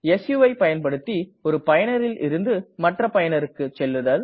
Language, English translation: Tamil, su command to switch from one user to another user